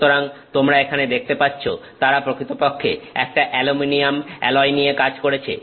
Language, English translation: Bengali, So, you can see here they have actually worked with an aluminum alloy